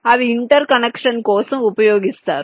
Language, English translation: Telugu, they are used for interconnection